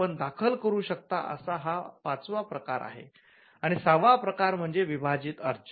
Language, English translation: Marathi, So, that’s the fifth type of application you can file, and the sixth type is a divisional application